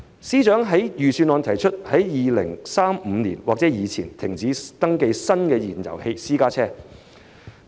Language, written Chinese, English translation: Cantonese, 司長在預算案提出在2035年或之前停止登記新的燃油私家車。, In the Budget FS proposed ceasing the new registration of fuel - propelled private cars in 2035 or earlier